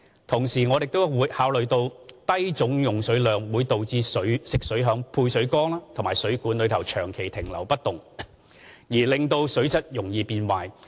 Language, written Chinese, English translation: Cantonese, 同時，我們亦要考慮低總用水量會導致食水在配水缸和水管內長期停留不動而令水質容易變壞。, We also need to consider whether the low water consumption will lead to stagnant water in the water tank and water mains hence resulting in the deterioration of water quality